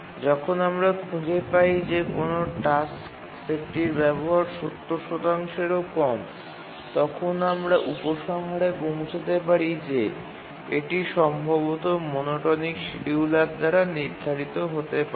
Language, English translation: Bengali, So, as long as we find that a task set, the utilization is less than 70 percent, we can conclude that it can be feasibly scheduled by a rate monotonic scheduler